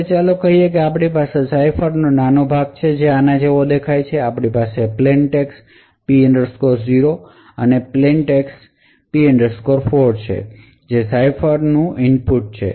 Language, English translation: Gujarati, So, let us say that we have a small part of the cipher which looks something like this, we have a plain text P 0 and a plain text P 4 which is the input to the cipher